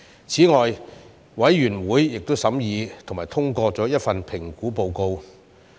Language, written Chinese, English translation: Cantonese, 此外，委員會亦審議及通過了1份評估報告。, Moreover the Committee considered and endorsed one assessment report